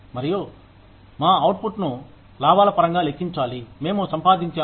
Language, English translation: Telugu, And, we need to calculate our output, in terms of the profits, we made